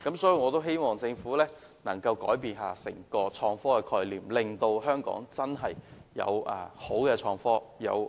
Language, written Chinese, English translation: Cantonese, 所以，我希望政府能改變對創科的思維，令香港能真正有美好的創科和智慧城市發展。, Hence I hope the Government can change its mindset about IT to enable Hong Kong to really pursue IT and smart city development